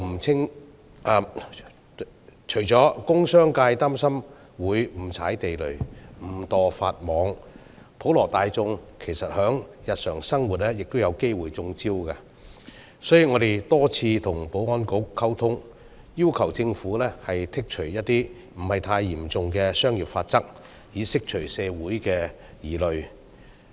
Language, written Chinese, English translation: Cantonese, 除工商界擔心會誤踩地雷、誤墮法網外，普羅大眾在日常生活亦有機會"中招"，所以我們多次與保安局溝通，要求政府剔除部分不太嚴重的商業法則，以釋除社會的疑慮。, Not only are the industrial and commercial sectors worried that they may fall into traps mistakenly and breach the laws inadvertently the general public may possibly fall into traps in their daily life as well . Therefore to allay the concerns of the community we have repeatedly communicated with the Security Bureau and urged the Government to remove some offences against commercial laws and regulations which are not very serious